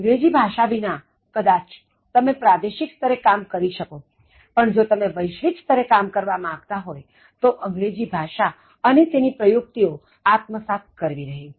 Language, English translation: Gujarati, Now, without English Skills, you may operate at a regional level, but if you want to reach a global level, it’s important that you develop and Enhance your English Skills